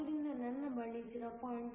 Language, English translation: Kannada, So, I have 0